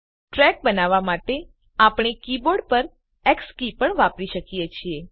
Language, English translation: Gujarati, For creating the track, we could also use the X key on the keyboard